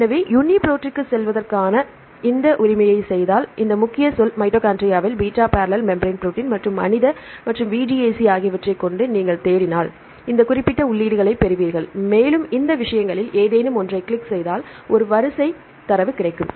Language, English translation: Tamil, So, if you do this right just for go to the UniProt and if you search with this keyword, mitochondrial beta barrel membrane protein and human and VDAC right then you will get these specific entries and if you click on any of these things right, you will get the data this is a sequence